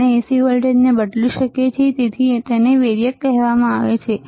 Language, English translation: Gujarati, We can vary the AC voltage that is why it is called variac